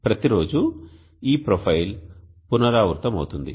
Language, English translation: Telugu, So every day this profile will repeat